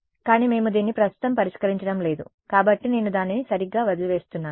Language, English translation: Telugu, But since we are not solving this right now, I am just leaving it like that right